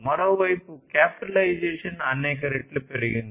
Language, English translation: Telugu, And on the other hand capitalization has increased manifold